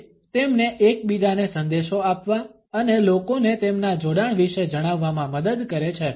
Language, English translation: Gujarati, It helps them to give messages to each other and letting people know their affiliations